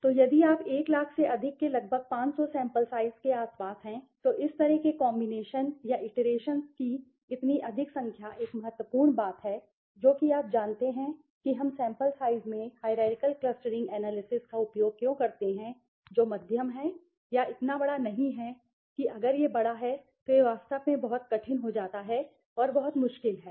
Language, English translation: Hindi, So, if you around a 500 sample size around more than 100000, so such high number of combination or iterations that happen is one important thing that is which is you know the reason why we use hierarchical clustering analysis in sample size which is moderate or not so large right if it is a large one then it becomes really really hectic and very difficult okay